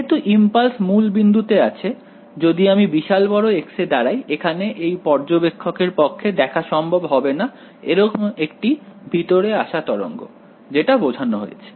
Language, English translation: Bengali, So, for that reason because my impulse is at the origin; they can if I am stand going to large x over here this observer cannot possibly observe and incoming wave like this, that is what it would mean right